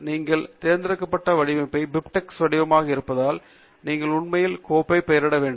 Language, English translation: Tamil, And because the format that you have chosen is BibTeX format, you should actually rename the file to be